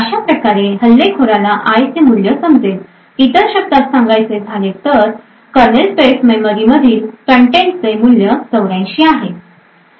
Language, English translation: Marathi, Thus, the attacker would know that the value of i in other words the contents of that kernel space memory has a value of 84